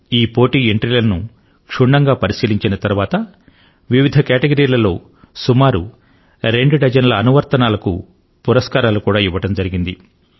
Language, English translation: Telugu, After a lot of scrutiny, awards have been given to around two dozen Apps in different categories